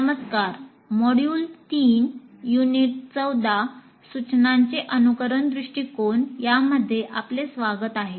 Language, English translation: Marathi, Greetings and welcome to module 3 unit 14, which is on simulation approach to instruction